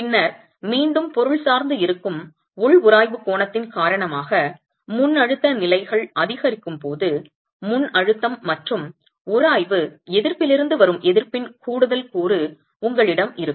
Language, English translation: Tamil, And then as pre compression levels increase because of the internal friction angle which is again material dependent, you will have an additional component of resistance coming from pre compression and friction resistance